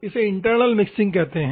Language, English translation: Hindi, That is called internal mixing